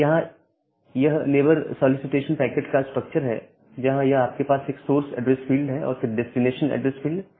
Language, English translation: Hindi, So, this neighbor solicitation packet, this is the structure of the neighbor solicitation packet, you have a source address field and the destination address field